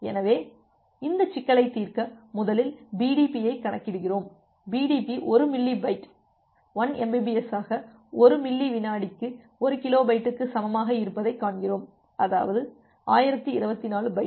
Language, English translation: Tamil, So, for to solve this problem, so, we first compute the BDP, we see that the BDP comes to be 1 Milli byte 1 Mbps into 1 millisecond equal to 1 kilobyte; that means 1024 byte